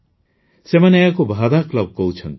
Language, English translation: Odia, They call these VADA clubs